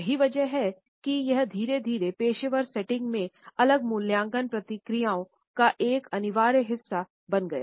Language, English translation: Hindi, And, that is why we find that gradually it became a compulsory part of different evaluation processes in professional settings